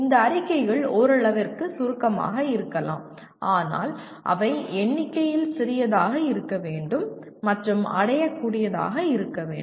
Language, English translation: Tamil, These statements can be abstract to some extent but must be smaller in number and must be achievable